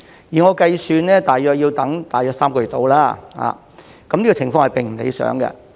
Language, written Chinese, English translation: Cantonese, 據我計算大約要等3個月，這情況並不理想。, According to my calculations the waiting time is about three months which is not ideal